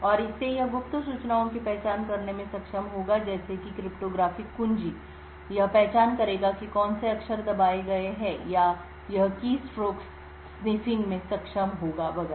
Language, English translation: Hindi, And from this it would be able to identify secret information like cryptographic keys, it would identify what characters have been pressed, or it would be able to sniff keystrokes and so on